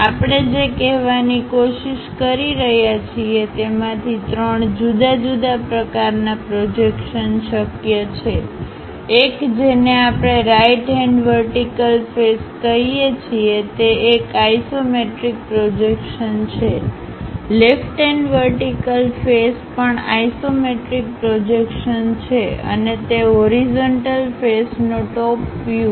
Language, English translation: Gujarati, The first one what we are trying to say there are three different kind of projections possible one we call right hand vertical face is an isometric projection, left hand vertical face that is also an isometric projections and the top view of that horizontal face